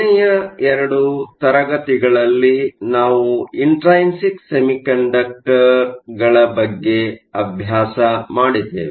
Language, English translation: Kannada, Last two classes we looked at Intrinsic Semiconductors